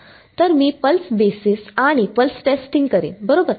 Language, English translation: Marathi, So, I will do pulse basis and pulse testing right